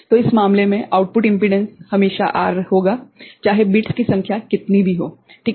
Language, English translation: Hindi, So, in this case output impedance is always R regardless of the number of bits ok